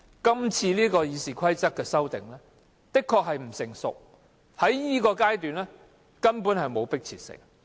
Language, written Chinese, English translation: Cantonese, 今次《議事規則》的修訂的確不成熟，在這個階段也完全沒有迫切性。, The amendment of RoP is indeed premature and there is no urgency whatsoever to do so at this stage